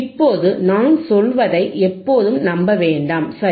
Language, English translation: Tamil, Now do not always rely on whatever I am saying, right